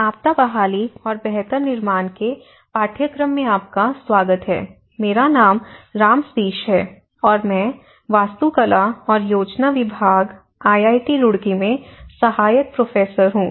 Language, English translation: Hindi, Welcome to the course, disaster recovery and build back better; my name is Ram Sateesh, Assistant Professor, Department of Architecture and Planning, IIT Roorkee